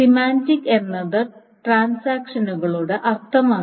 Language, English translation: Malayalam, So, semantics is the meaning of the transaction